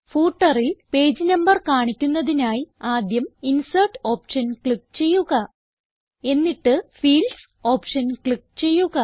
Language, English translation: Malayalam, To display the page number in the footer, we shall first click on the Insert option